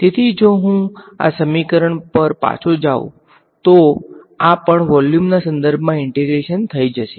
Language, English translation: Gujarati, Now, if I go back to this equation, this also was going to get integrated with respect to volume right